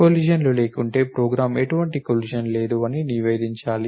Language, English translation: Telugu, And if there are no collisions, the program should report no collision